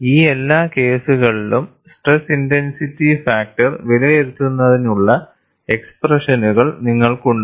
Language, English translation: Malayalam, And for all these cases, you have expressions for evaluating stress intensity factor